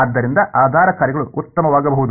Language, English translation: Kannada, So, basis functions can be better